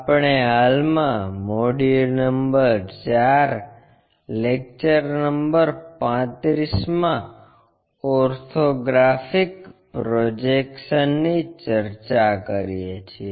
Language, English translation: Gujarati, We are in module number 4 lecture number 35 on Orthographic Projections